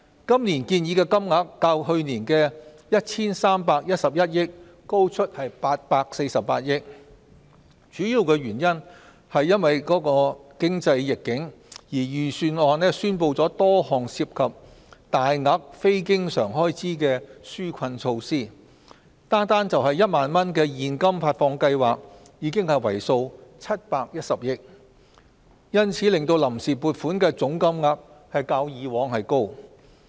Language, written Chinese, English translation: Cantonese, 今年建議的金額較去年的 1,311 億元高出848億元，主要是因應經濟逆境，預算案宣布了多項涉及大額非經常開支的紓困措施，單是1萬元現金發放計劃已為數710億元，因此令臨時撥款的總金額較過往為高。, The proposed sum of this is an addition of 84.8 billion more than last years total of 131.1 billion . The main reason is because of the economic downturn; therefore the budget involves various major non - recurrent expenditures on relief measures . The proposed 10,000person cash handout scheme alone accounts for 71 billion